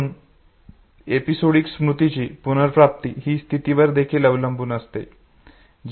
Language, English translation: Marathi, So retrieval of episodic memory is also a state dependent